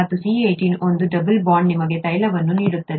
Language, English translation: Kannada, And C18, with a single double bond gives you oil